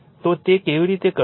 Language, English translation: Gujarati, So, how you will do it